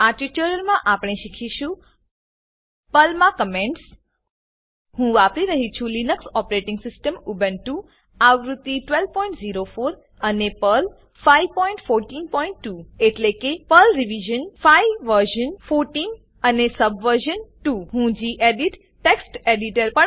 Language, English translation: Gujarati, In this tutorial, we will learn about Comments in Perl I am using Ubuntu Linux12.04 operating system and Perl 5.14.2 that is, Perl revision 5 version 14 and subversion 2 I will also be using the gedit Text Editor